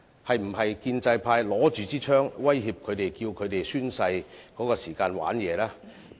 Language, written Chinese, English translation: Cantonese, 是否建制派拿着手槍威脅他們在宣誓時耍花樣呢？, Were they forced by pro - establishment Members at gunpoint to play tricks at the oath - taking ceremony?